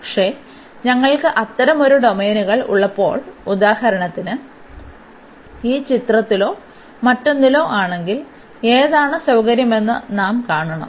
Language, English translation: Malayalam, But, when we have such a domains for example, in this figure or in the other one then we should see that which one is convenience